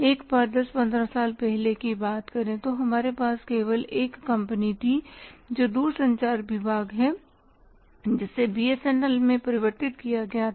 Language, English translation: Hindi, Once upon a time if you talk about say 10 15 years back we had only one company that is department of telecommunication that was converted to BSNL